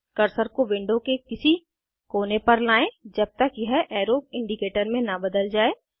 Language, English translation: Hindi, Take the cursor to any corner of the window till it changes to an arrow indicator